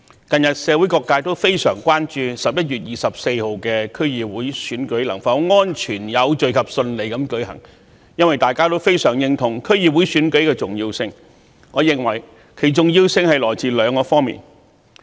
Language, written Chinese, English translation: Cantonese, 近日社會各界都非常關注11月24日的區議會選舉能否安全、有序及順利地舉行，因為大家均非常認同區議會選舉的重要性，我認為其重要性來自兩方面。, People from all sectors of the community are very much concerned in recent days about whether the District Council DC Election can be held safely orderly and smoothly on 24 November because we all agree with the importance of the DC Election and I think that its importance lies in two aspects